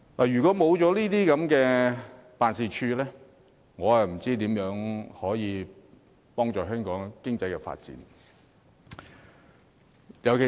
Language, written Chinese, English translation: Cantonese, 如果沒有經貿辦的協助，我真不知道可如何協助香港發展經濟。, I really do not know how we can assist the economic development of Hong Kong if there is no assistance from ETOs